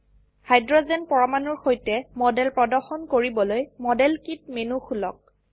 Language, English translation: Assamese, To show the model with hydrogen atoms, open the modelkit menu